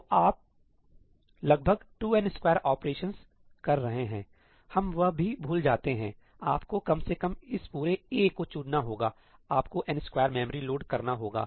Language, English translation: Hindi, you are going to end up doing about 2n square operations; let us forget that also, you have to at least pick up this entire A, right, you have to do n square memory loads